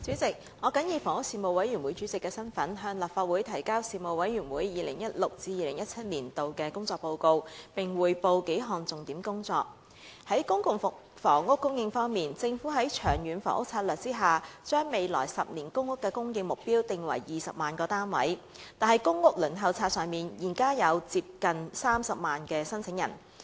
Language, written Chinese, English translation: Cantonese, 主席，我謹以房屋事務委員會主席的身份，向立法會提交事務委員會 2016-2017 年度的工作報告，並匯報數項重點工作。在公共房屋供應方面，政府在《長遠房屋策略》下，將未來10年公屋的供應目標定為20萬個單位，但公屋輪候冊上現有接近30萬名申請人。, President in my capacity as Chairman of the Panel on Housing the Panel I submit to the Legislative Council the report of the work of the Panel for the 2016 - 2017 session and report on several major areas of work of the Panel With respect to the supply of public rental housing PRH the Government adopted a 10 - year supply target of 200 000 PRH units under the Long Term Housing Strategy LTHS